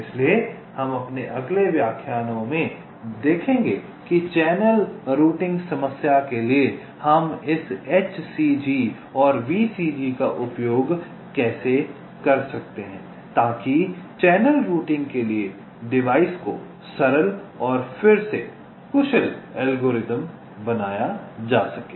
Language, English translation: Hindi, so we shall see later in our next lectures that how we can use this h c g and v c g for channel routing problem to device simple and re efficient algorithms for channel routing